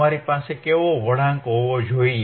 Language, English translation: Gujarati, , wWhat kind of curve you should have